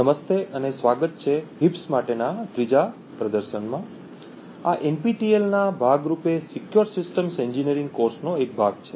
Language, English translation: Gujarati, Hello and welcome to this third demonstration for heaps, this is part of the Secure System Engineering course as part of the NPTEL